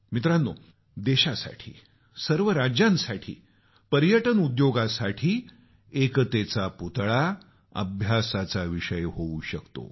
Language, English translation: Marathi, Friends, for our nation and the constituent states, as well as for the tourism industry, this 'Statue of Unity' can be a subject of research